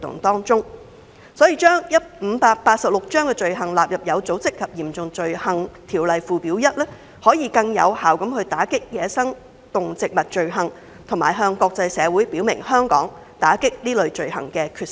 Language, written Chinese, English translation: Cantonese, 因此，將第586章的走私罪行納入《有組織及嚴重罪行條例》附表 1， 可更有效地打擊走私野生動植物罪行，並向國際社會表明香港打擊這類罪行的決心。, Therefore the inclusion of trafficking offences under Cap . 586 into Schedule 1 to OSCO facilitates the combating of wildlife crimes and demonstrates to the international community Hong Kongs commitment to stem out such crimes